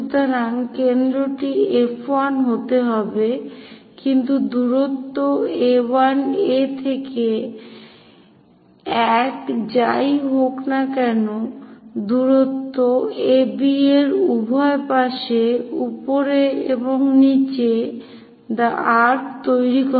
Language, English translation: Bengali, So, centre has to be F 1, but the distance is A 1 A to one whatever the distance make an arc on top and bottom on either sides of AB